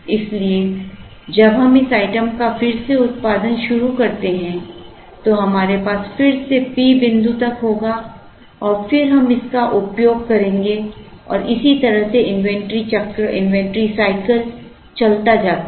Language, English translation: Hindi, So, when we start producing this item again, we will again have this up to P up to a particular point and then we use this and this is how the inventory cycle goes